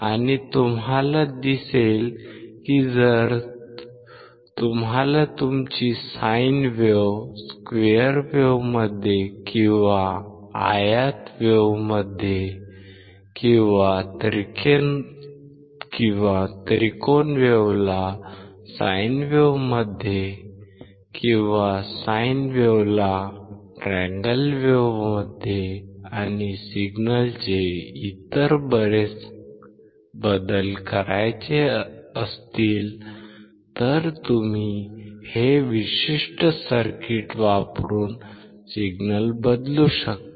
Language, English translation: Marathi, And you will see that if you want to convert your sine wave to a square wave or rectangle wave or triangle wave to a sine wave, sine wave to triangle wave and lot of other changes of the signal ,you can change the signal by using these particular circuits